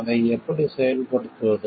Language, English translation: Tamil, How to implement it